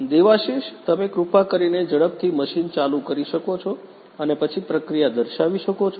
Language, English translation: Gujarati, Devashish, could you please quickly switch on the machine and then demonstrate the process